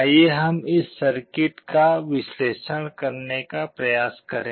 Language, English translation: Hindi, Let us try to analyze this circuit